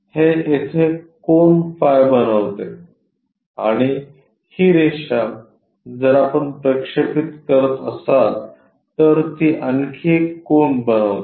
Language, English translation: Marathi, It makes an angle phi here and this line if we are projecting, it makes another angle